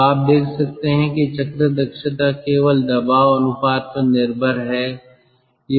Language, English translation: Hindi, so you can see the cycle efficiency is dependent only on pressure ratio